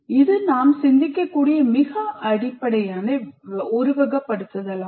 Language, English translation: Tamil, This is the most, what you call, elementary type of simulation that we can think of